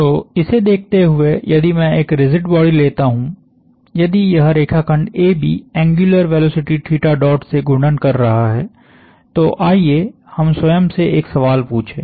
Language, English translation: Hindi, So, given that if I take a rigid body, if this line segment AB is rotating with an angular velocity theta dot, let us ask ourselves the question